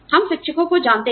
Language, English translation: Hindi, We know the teachers